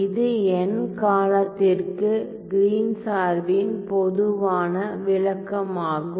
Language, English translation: Tamil, So, for an n term, so, this is the general description of the Green’s function